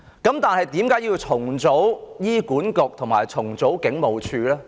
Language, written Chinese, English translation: Cantonese, 但為何要重組醫管局和警務處呢？, Why do we need to re - organize HA and the Hong Kong Police Force?